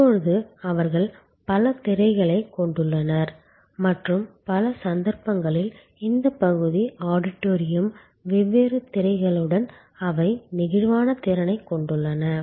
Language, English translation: Tamil, Now, they have multiple screens and in many of these cases these part auditorium with different screens, they have flexible capacity